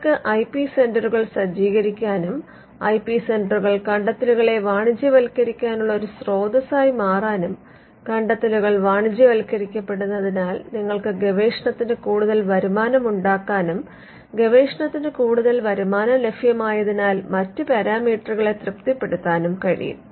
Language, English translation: Malayalam, You could set up IP centres and IP centres could become a source for commercializing the inventions and because inventions get commercialized you have more revenue for research and because there is more revenue available for research you could be satisfying other parameters as well